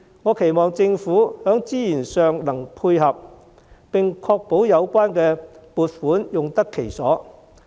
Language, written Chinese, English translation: Cantonese, 我期望政府在資源上能配合，並確保有關撥款用得其所。, I hope that the Government will be supportive in terms of resources and ensure that the funding will be put to proper use